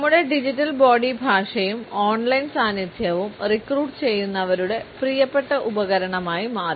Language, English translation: Malayalam, Our digital body language as well as our on line presence has become a favourite tool for recruiters